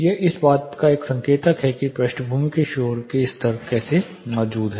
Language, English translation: Hindi, This is one indicator of how the background noise levels are existing